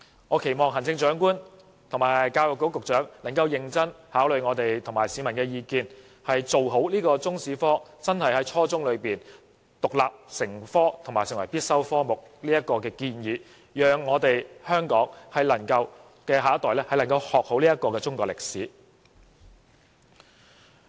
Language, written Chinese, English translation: Cantonese, 我期望行政長官和教育局局長能夠認真考慮我們及市民的意見，完善中史科，將中國歷史在初中階段獨立成科，並成為必修科目，讓香港的下一代能夠學好中國歷史。, My expectation for the Chief Executive and the Secretary for Education is that they will seriously consider our views and public opinion and fine - tune the Chinese History subject so that it will be taught as an independent and compulsory subject at junior secondary level . In this way the next generation of Hong Kong can learn Chinese history properly